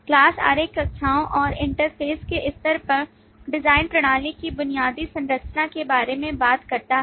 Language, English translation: Hindi, Class diagram talks about the basic structure of the design system at the level of classes and interfaces